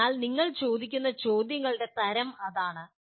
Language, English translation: Malayalam, So that is the type of questions that you would ask